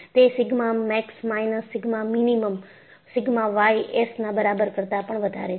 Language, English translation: Gujarati, It says only sigma max minus sigma minimum, is greater than equal to sigma y s